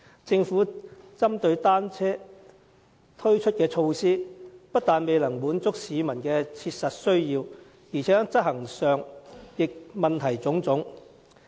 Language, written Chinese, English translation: Cantonese, 政府針對單車推出的措施，不但未能滿足市民的切實需要，而且在執行上也問題眾多。, Measures on bicycles implemented by the Government can hardly cater for the practical needs of the public . Besides the implementation of these measures is fraught with problems